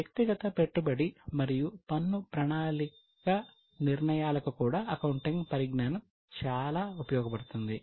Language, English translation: Telugu, Now, the knowledge of accounting is also useful for personal investment and tax planning decisions